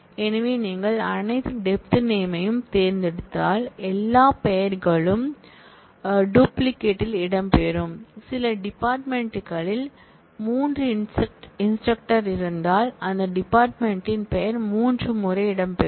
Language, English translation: Tamil, So, if you do select all depth name, then all the names will feature with duplicates, if some department had 3 instructors the name of that department will feature thrice